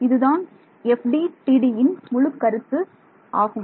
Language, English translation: Tamil, That is the whole point of FDTD